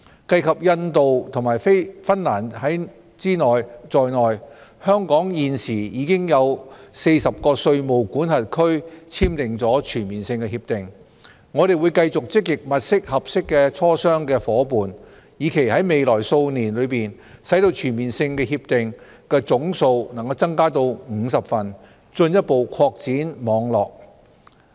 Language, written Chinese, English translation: Cantonese, 計及印度及芬蘭在內，香港現時已經與40個稅務管轄區簽訂全面性協定，我們會繼續積極物色合適的磋商夥伴，以期在未來數年內使全面性協定的總數能增加到50份，進一步擴展網絡。, With the inclusion of India and Finland Hong Kong has now entered into Comprehensive Agreements with 40 tax jurisdictions . We will continue to actively identify potential negotiation partners with a view to increasing the total number of Comprehensive Agreements to 50 over the next few years and further expanding the network